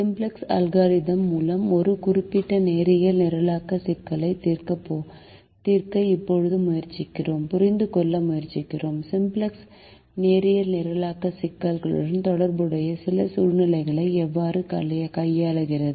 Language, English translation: Tamil, we now try to solve a specific linear programming problem by the simplex algorithm and try to understand how simplex handles certain situations relevant to the linear programming problem